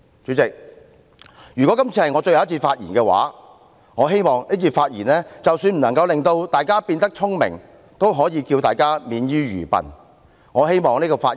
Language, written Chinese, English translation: Cantonese, "主席，如果這次是我最後一次發言，我希望這次發言即使不能令大家變得聰明，也可以令大家免於愚笨。, President if this is the last time I deliver my speech here I hope that even if my speech this time cannot make Members wiser it can at least prevent them from being foolish